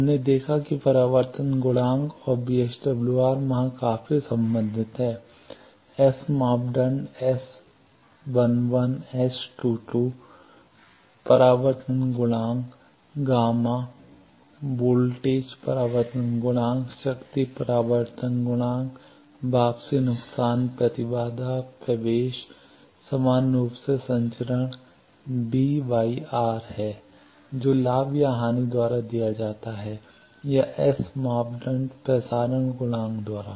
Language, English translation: Hindi, We have seen that the reflection coefficient and VSWR there quite related s parameters is 1 s to 2 reflection coefficient gamma voltage reflection coefficient power reflection coefficient return loss impedance admittance similarly transmission is b by r that is given by gain or loss s parameters transmission coefficient t insertion phase group delay etcetera